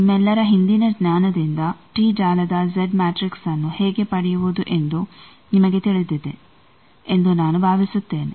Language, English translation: Kannada, This I think all of you know from your earlier knowledge how to find Z matrix of a t network